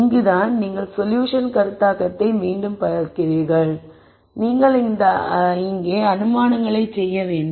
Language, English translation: Tamil, So, this is where you then look at solution conceptualization again you have to make assumptions here